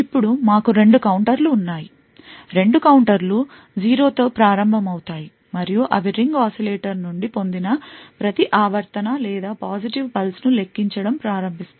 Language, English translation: Telugu, Now we have two counters; both the counters start with 0 and they begin counting each periodic or each positive pulse that is obtained from the ring oscillator